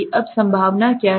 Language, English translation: Hindi, Now what is the probability